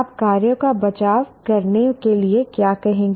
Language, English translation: Hindi, What would you cite to defend the actions